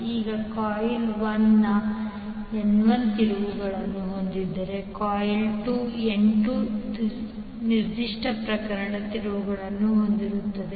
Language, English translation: Kannada, Now if coil 1 has N1 turns and coil 2 has N2 turns for this particular case